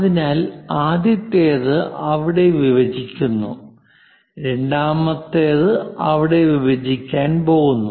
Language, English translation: Malayalam, So, the first one; it is intersecting there, the second one is going to intersect there